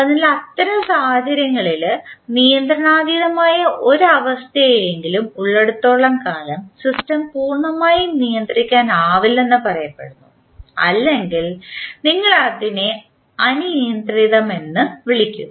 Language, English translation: Malayalam, So in that case, the as long as there is at least one uncontrollable state the system is said to be not completely controllable or we just call it as uncontrollable